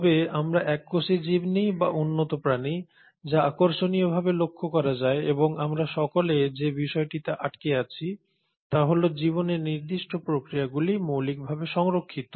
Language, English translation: Bengali, But whether we take a single celled organism or we go across all the way to higher end organism, what is interesting is to note and this is what we all cling on to is that certain processes of life are fundamentally conserved